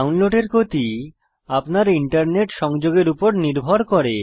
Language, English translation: Bengali, The download speed depends on your internet connection